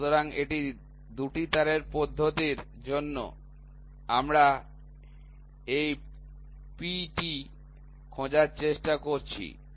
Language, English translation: Bengali, So, this is for a 2 wire method, we are trying to find out this P